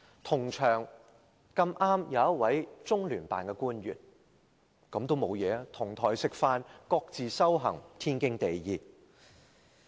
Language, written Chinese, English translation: Cantonese, 同場剛好有一位中聯辦的官員，這也沒有問題，"同檯食飯，各自修行，天經地義"。, An official from LOCPG was also present which was likewise not a problem . As the saying goes it is perfectly justified for people eating at the same table but minding different business